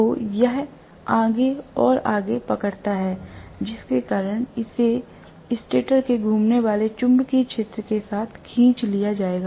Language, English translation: Hindi, So, it catches up further and further because of which it will be dragged along with the revolving magnetic field of the stator